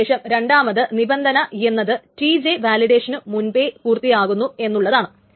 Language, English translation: Malayalam, Then the second condition or the odd condition is that TJ finished before the validation started